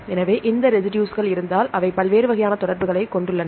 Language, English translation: Tamil, So, if these residues they have the tendency to form various types of interactions